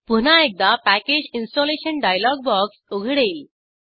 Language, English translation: Marathi, A Package Installation dialog box will open